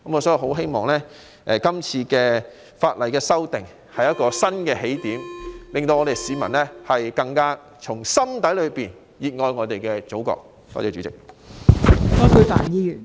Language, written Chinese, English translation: Cantonese, 所以，希望是次法例修訂工作是一個新起點，能令市民更加打從心底熱愛我們的祖國。, I therefore hope that this legislative amendment exercise will be a new starting point for fellow citizens to nurture an even deeper love for our Motherland